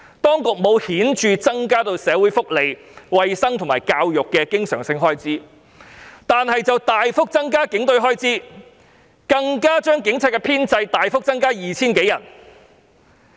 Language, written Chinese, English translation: Cantonese, 當局沒有顯著增加社會福利、衞生和教育的經常性開支，但卻大幅增加警隊開支，甚至將警隊編制大幅增加 2,000 多人。, While the Administration has not significantly increased the recurrent expenditures in social welfare health care and education it has greatly increased the expenditures of the Police Force and even considerably enlarged the establishment of the Police Force by more than 2 000 people